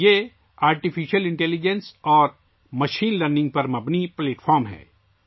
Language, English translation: Urdu, This is a platform based on artificial intelligence and machine learning